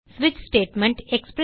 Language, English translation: Tamil, And switch statement